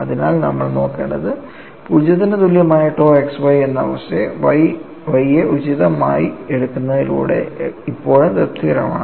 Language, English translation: Malayalam, So, what will have to look at is, the condition tau xy equal to 0 is still satisfiable by taking Y appropriate